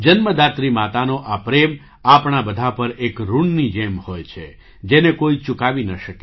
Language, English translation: Gujarati, This love of the mother who has given birth is like a debt on all of us, which no one can repay